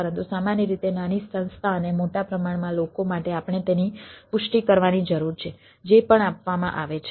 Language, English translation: Gujarati, but normally for a small institution and public at large we need to confirm to the whatever is being provided